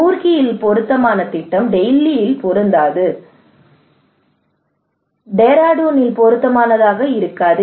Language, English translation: Tamil, The project that is appropriate in Roorkee may not be appropriate in Delhi, may not be appropriate in Dehradun